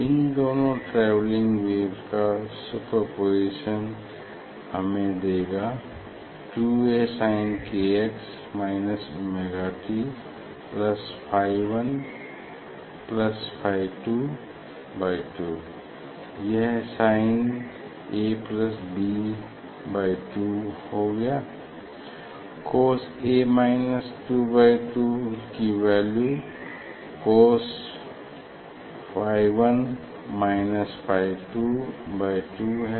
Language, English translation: Hindi, superposition of these two travelling wave will give us, give us 2 A sin k x minus omega t plus phi 1 plus phi 2 by 2, this sin a sin a plus sin b ok, so 2 sin a plus b by 2 cos a minus b by 2